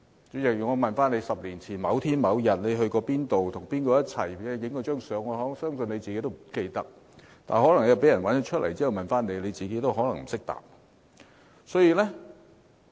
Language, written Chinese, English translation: Cantonese, 主席，我問你10年前某天你去過哪裏，跟誰在一起拍過一張照片，我相信你自己也不記得，但可能有人找出照片，然後問你，你自己可能不懂得回答。, President if I ask you where you went on a certain day some 10 years ago and with whom you took a photo I believe you might not remember . But if someone found a photo and asked you the same questions you might not be able to come up with an answer